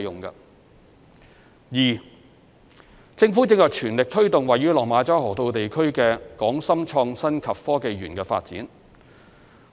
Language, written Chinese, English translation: Cantonese, 二政府正全力推動位於落馬洲河套地區的港深創新及科技園發展。, 2 The Government is pressing ahead with the development of the Hong Kong - Shenzhen Innovation and Technology Park HSITP at the Lok Ma Chau Loop the Loop